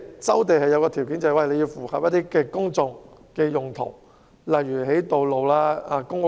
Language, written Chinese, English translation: Cantonese, 收地的其中一個條件是必須符合公眾用途，例如興建道路和公屋。, One of the conditions for land resumption is that the site must be used for public purpose such as construction of roads and public housing